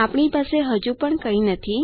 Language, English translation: Gujarati, We still dont have anything